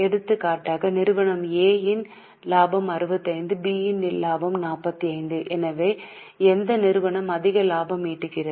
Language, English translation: Tamil, For example, if we get this information that profit of company A is 65, company B is 45